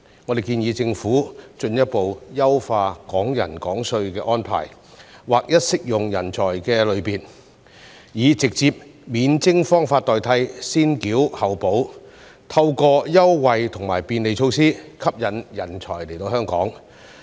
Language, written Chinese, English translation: Cantonese, 我們建議政府進一步優化"港人港稅"的安排，劃一適用人才類別，以直接免徵方法代替"先繳後補"，透過優惠和便利措施吸引人才來港。, We suggest that the Government should further improve the Hong Kong taxation for Hong Kong people arrangement by standardizing the categories of talents and replacing the pay first and receive reimbursement later approach with a direct exemption so as to attract talents to Hong Kong through concessions and facilitation measures